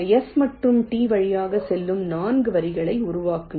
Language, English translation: Tamil, generate four lines passing through s and t